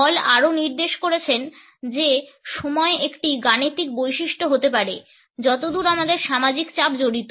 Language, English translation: Bengali, Hall has also pointed out that time can be an arithmetic characteristic as far as our social pressures are concerned